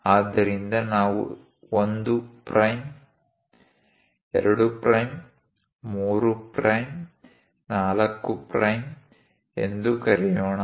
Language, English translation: Kannada, So, let us call 1 prime, 2 prime, 3 prime, 4 prime